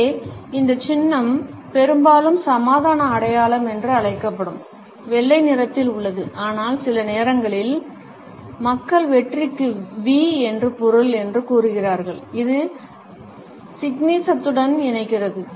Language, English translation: Tamil, This symbol here is mostly white known as the peace sign, but sometimes people say it means V for victory; also it does connect to signism